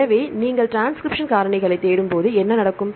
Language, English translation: Tamil, So, when you search transcription factors what will happen